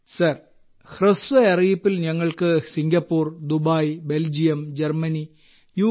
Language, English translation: Malayalam, Sir, for us on short notice to Singapore, Dubai, Belgium, Germany and UK